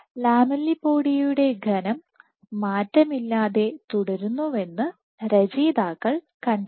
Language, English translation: Malayalam, So, what the authors found was the lamellipodial thickness remains unchanged